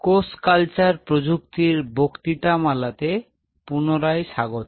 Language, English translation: Bengali, Welcome back to the lecture series in Cell Cultural Technologies